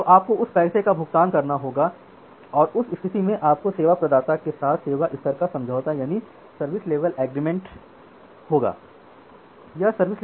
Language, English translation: Hindi, So, you have to pay that much of money and in that case you have a service level agreement or SLA with your service provider